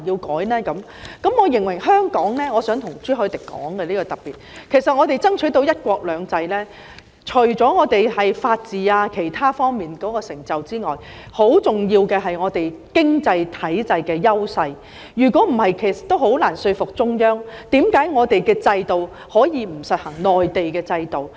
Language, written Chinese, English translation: Cantonese, 我想特別向朱凱廸議員指出，香港能夠爭取到"一國兩制"，除了因為我們在法治等方面的成就之外，很重要的一點，就是我們經濟體制上的優勢，否則也很難說服中央，為何我們可以不實行內地的制度。, In particular I wish to point out to Mr CHU Hoi - dick that apart from our achievements in such areas as the rule of law one very important point in Hong Kong securing the one country two systems arrangement is the superiority of our economic system . Without it it will be difficult to convince the Central Authorities why we do not have to implement the Mainland system